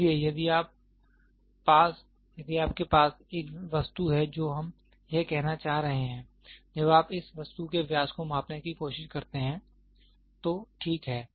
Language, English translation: Hindi, So, what we are trying to say if you have an object, this when you try to measure the diameter of this object, ok